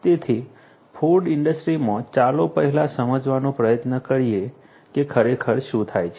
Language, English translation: Gujarati, So, in the food industry let us first try to understand what actually happens